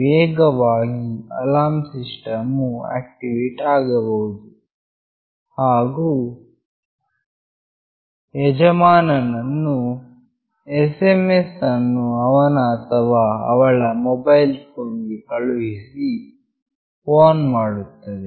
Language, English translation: Kannada, Often the alarm system can be activated and the owner can be warned by sending an SMS fon his or her mobile phone